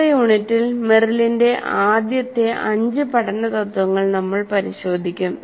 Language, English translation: Malayalam, And in the next unit, we will be looking at Merrill's five first principles of learning